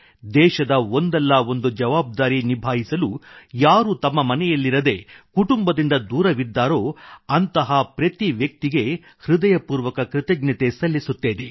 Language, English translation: Kannada, I express gratitude to each and every person who is away from home and family on account of discharging duty to the country in one way or the other